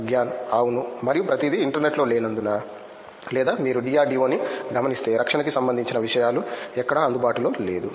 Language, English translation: Telugu, Yes, and because everything is not in the internet or because if you see DRDO things is not available anywhere defense